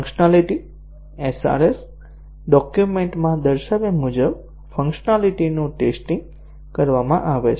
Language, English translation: Gujarati, The functionality; the functionality is tested as specified in the SRS document